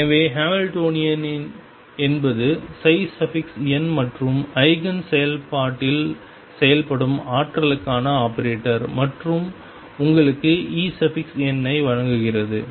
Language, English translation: Tamil, So, Hamiltonian is the operator for energy it acts on psi n and Eigen function and gives you E n